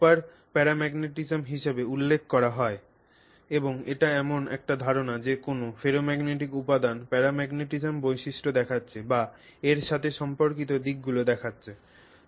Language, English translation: Bengali, So super para, this is referred to as super para magnetism and it is the idea that a ferromagnetic material is mimicking paramagnetism or showing you aspects associated with paramagnetism but it has high susceptibility